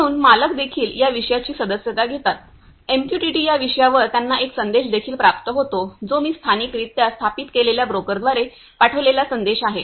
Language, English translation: Marathi, So, owner also subscribe the topic offer MQTT they also get a message that is a sent by the broker which I have installed locally